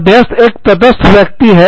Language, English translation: Hindi, An arbitrator is a neutral person